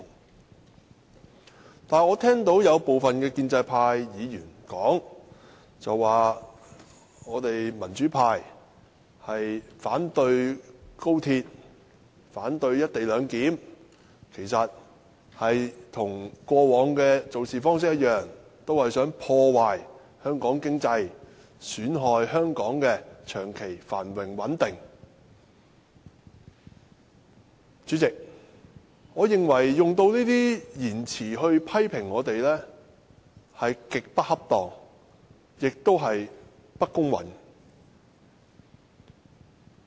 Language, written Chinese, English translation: Cantonese, 不過，我聽到部分建制派議員說，民主派反對高鐵、反對"一地兩檢"，其實跟過往的做事方式一樣，便是想破壞香港經濟，損害香港的長期繁榮穩定。主席，我認為使用這些言詞批評我們極不恰當，而且不公允。, However President I find some pro - establishment Members remarks against us highly inappropriate and unfair . They say that the democrats oppose the XRL and the co - location arrangement in just the way as they opposed everything in the past; and that they just want to ruin the economy of Hong Kong and undermine the long - term prosperity and stability of Hong Kong